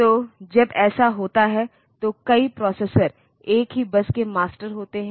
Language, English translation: Hindi, So, when that is the case the multiple processors are masters of the same bus